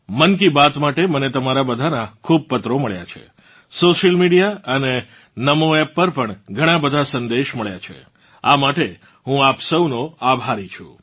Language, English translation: Gujarati, I have received many letters from all of you for 'Mann Ki Baat'; I have also received many messages on social media and NaMoApp